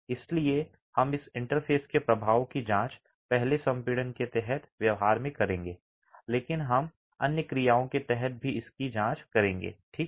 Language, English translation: Hindi, So we will examine the effect of this interface in the behavior first under compression but we'll be examining this under other actions as well